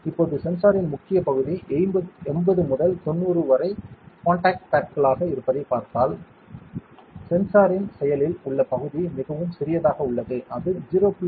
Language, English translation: Tamil, Now, if you see the major part 80 to 90 of the sensor are contact pads, the active area of the sensor is very very small, it is only 0